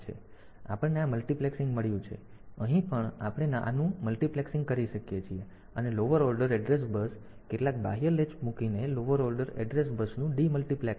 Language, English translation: Gujarati, So, we have got these multiplexing; so, here also we can have a multiplexing of this; lower order address bus; demultiplixing of the lower order address bus by putting some external latch